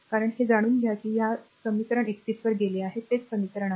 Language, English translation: Marathi, Because you know this one if you go to equation 31, you go to equation 31, that is your this equation, right